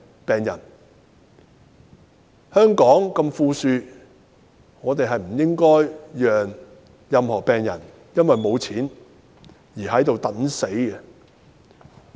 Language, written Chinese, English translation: Cantonese, 香港這麼富庶，不應該讓任何病人因為沒有錢而等死。, In such an affluent city like Hong Kong no patients should be left to wait for death due to a lack of means